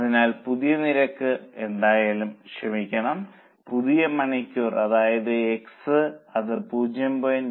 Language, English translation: Malayalam, So, whatever is new rate, sorry, new hours which is x, it will be 0